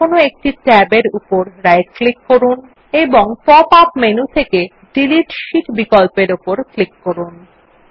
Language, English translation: Bengali, Now right click over one of the tabs and click on the Delete Sheet option from the pop up menu and then click on the Yes option